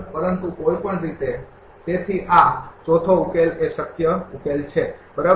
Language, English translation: Gujarati, But anyway, so this 4th solution is the feasible solution, right